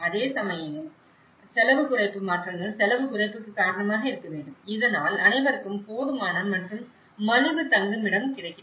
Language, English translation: Tamil, Whereas, the cost reduction changes must result in cost reduction so that adequate and affordable shelter is attaining for all